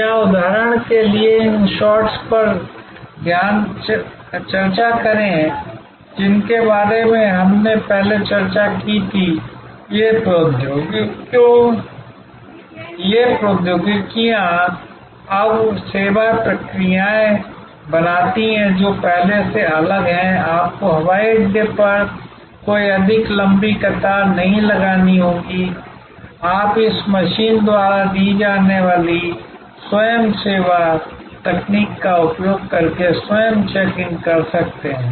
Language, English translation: Hindi, Or for example, take these shots that we discussed before that these technologies therefore create now service processes, which are different from before, you do not have to queue up any more, long queue at the airport; you can do self check in using the self service technology offered by this machine